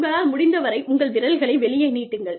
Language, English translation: Tamil, And, throw your fingers out, as much as possible